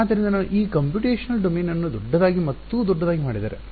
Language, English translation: Kannada, So, if I now make the computational domain larger and larger right